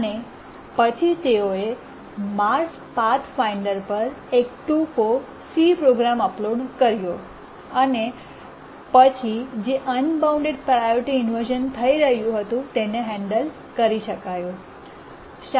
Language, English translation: Gujarati, And then they uploaded a short C program onto the Mars Pathfinder and then the unbounded priority inversion that was occurring could be tackled